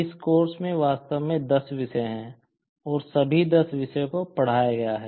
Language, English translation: Hindi, In this course, in fact, there are 10 topics and all 10 topics have been taught